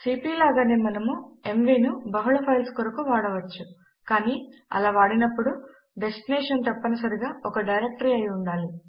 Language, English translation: Telugu, Like cp we can use mv with multiple files but in that case the destination should be a directory